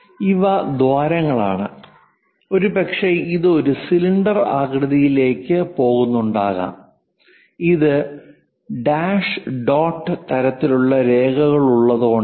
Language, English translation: Malayalam, These are holes involved and perhaps it might be going into cylindrical shape that is a reason we have this dash dot kind of lines